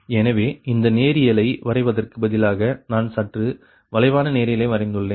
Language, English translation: Tamil, so instead of drawing ah, drawing that ah, this linear one, i have made little bit of curve